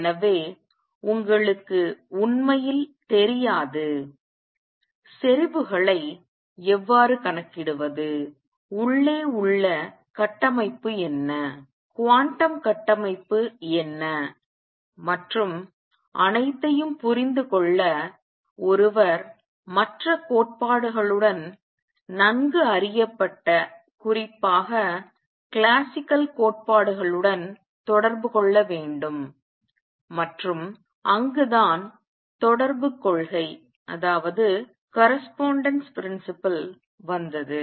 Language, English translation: Tamil, So, we do not really know; how to calculate intensities, what is the structure inside, what is the quantum structure and to understand all that one had to make connections with other theories particularly classical theory which is well known and that is where the correspondence principle came in